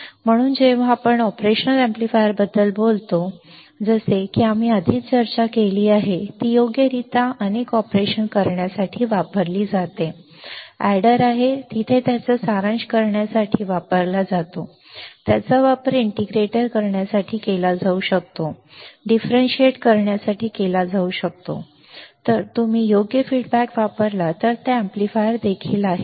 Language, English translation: Marathi, So, when you talk about operational amplifier like we have discussed earlier also, it is used to perform several operations right; it is used to perform summing there is summer, it can be used to perform integrator, it can be used to perform differentiator right it is also amplifier if you use proper feedback